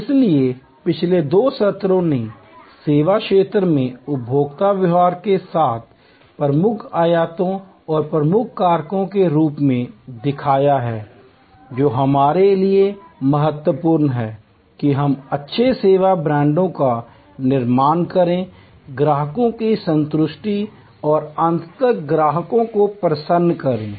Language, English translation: Hindi, So, the last two sessions have shown as key dimensions of consumer behavior in the service domain and key factors that are important for us to build good service brands, create customers satisfaction and ultimately customer delight